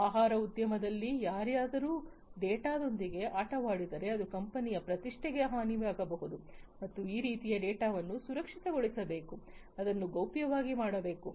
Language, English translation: Kannada, In food industries also you know if somebody plays around with the data that kind of attack can harm the reputation of the company and that kind of data should be made secured, should be made confidential